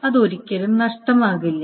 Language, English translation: Malayalam, So this will never be lost